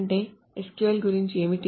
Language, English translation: Telugu, So that is the what is about SQL